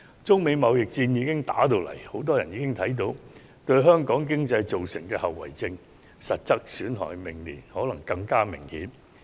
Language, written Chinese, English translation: Cantonese, 中美貿易戰已經爆發，很多人已看到它對香港經濟造成的後遺症和實質損害，明年可能更加明顯。, With the eruption of a trade war between China and the United States many people have witnessed its aftermath and substantive damage to the economy of Hong Kong which could be more serious next year